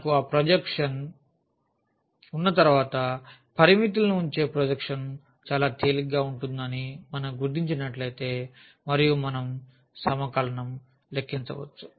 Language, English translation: Telugu, Once we have that projection, if we identify that projection putting the limits will be will be much easier and we can compute the integral